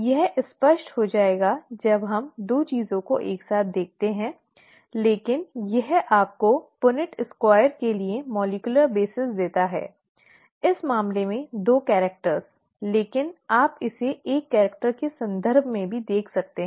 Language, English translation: Hindi, This will become clearer when we look at two things together, but this gives you the molecular basis for the Punnett Square itself, in this case two characters, but you could also look at it in terms of one character